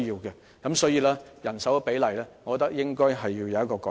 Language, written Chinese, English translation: Cantonese, 因此，我認為在人手比例上應作出改善。, In this connection I think improvement should be made to the proportion of manpower